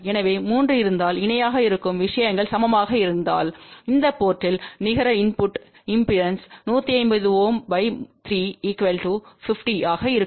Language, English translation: Tamil, So, if there are 3 things in parallel which are equal then the net input impedance at this port will be a 150 ohm divided by 3 which will be equal to 50 ohm